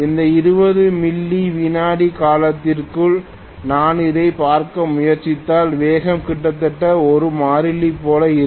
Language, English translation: Tamil, Within this 20 millisecond period if I try to look at it, speed will be almost like a constant